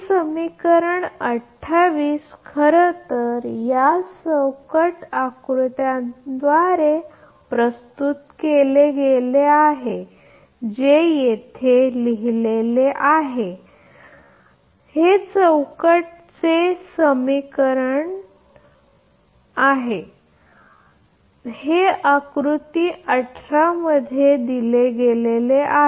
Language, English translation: Marathi, So, this is this this equation this equation equation 28 actually is represented by this ah block diagram that is written here that block diagram representation of equation 20 is given in figure 18 this is figure 18 , right